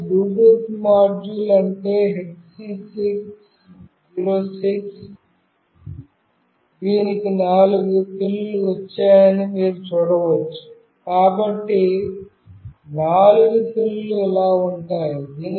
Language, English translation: Telugu, This is the Bluetooth module that is HC 06, you can see it has got four pins, so the four pins goes like this